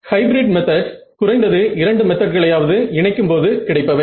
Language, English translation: Tamil, Hybrid methods are methods where we combine one or combine at least two methods